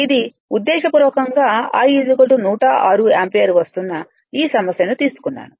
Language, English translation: Telugu, This intentionally I took this problem it is coming 106 ampere